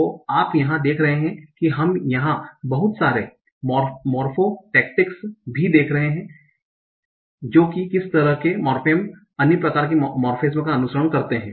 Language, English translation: Hindi, So you see here we are also showing some lot of morpho tactics that what kind of morphemes follow other kind of morphemes